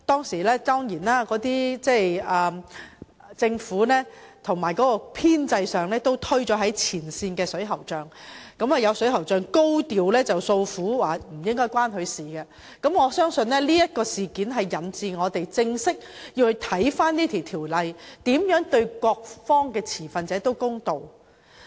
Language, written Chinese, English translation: Cantonese, 事發之初，政府曾把責任推向前線水喉匠，以致有水喉匠高調訴苦，指問題與他們無關，這亦導致我們在檢視《條例草案》的規定時，必須研究如何可對各方持份者公道。, When the incident first happened the Government has tried to put the blame on plumbers working in the front line and some plumbers have thus vented their grievances in a high profile manner saying that they have nothing to do with the incident . This has made it necessary for us to examine how the relevant requirements can be fair to all stakeholders when scrutinizing the Bill